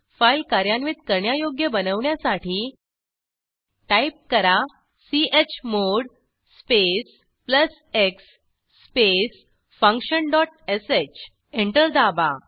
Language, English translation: Marathi, To make this code file executable Type: chmod space plus x space function dot sh Press Enter